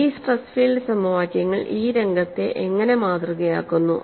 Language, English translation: Malayalam, And how do these stress field equation model the scenario